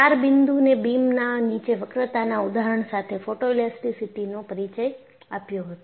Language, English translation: Gujarati, And, I introduced Photoelasticity by taking an example of a beam under four point bending